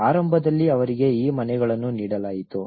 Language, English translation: Kannada, Initially, they were given these house